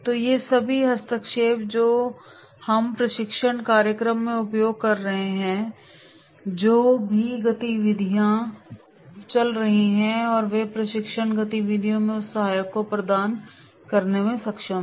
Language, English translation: Hindi, So all these interventions that we are using in the training program and whatever the activities are going on and they are able to provide that assistants in the training activities